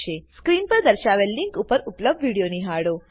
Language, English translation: Gujarati, Watch the video available at the link shown on the screen